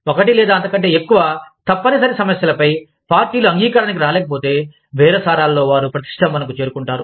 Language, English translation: Telugu, If the parties cannot agree, on one or more mandatory issues, they have reached an impasse, in bargaining